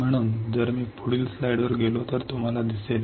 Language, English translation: Marathi, So, if I go on next slide you see